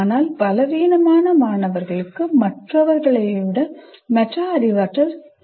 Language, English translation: Tamil, But weaker students typically have poor metacognition besides other things